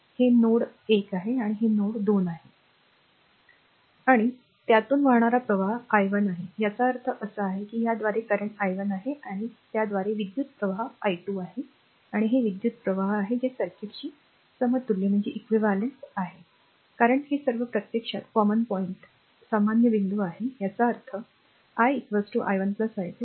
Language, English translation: Marathi, And current flowing through this is i 1; that means, current through this is your i 1 and current through this is your i 2, and this is the current that is your i that is whatever this circuit is equivalent to this one, right because it is a all or this is actually common point; that means, your i is equal to basically i 1 plus i 2